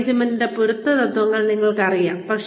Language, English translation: Malayalam, You know, the general principles of management